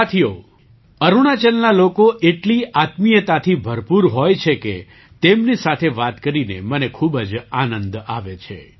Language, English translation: Gujarati, Friends, the people of Arunachal are so full of warmth that I enjoy talking to them